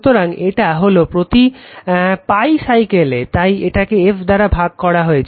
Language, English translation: Bengali, So, it is per cycle, so it is divided by f right